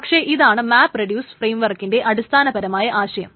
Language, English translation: Malayalam, But that's the basic idea of a map reduced framework